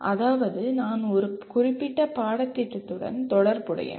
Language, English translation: Tamil, That means I am associated with a particular course